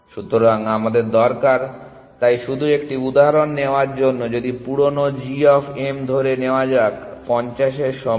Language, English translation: Bengali, So, we need to, so just to take an example, if the old g of m let me say old is equal to 50